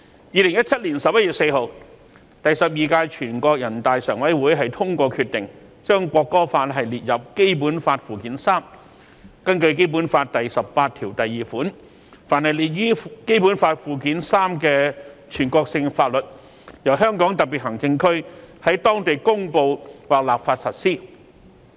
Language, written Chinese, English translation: Cantonese, 2017年11月4日，第十二屆全國人大常委會通過決定，將《國歌法》列入《基本法》附件三，根據《基本法》第十八條第二款，凡列於《基本法》附件三的全國性法律，由香港特別行政區在當地公布立法實施。, In 4 November 2017 the Standing Committee of the 12 National Peoples Congress NPC passed a decision to include the National Anthem Law in Annex III of the Basic Law . According to Article 182 of the Basic Law all national laws listed in Annex III of the Basic Law shall be applied locally by way of promulgation or legislation by the Hong Kong Special Administrative Region HKSAR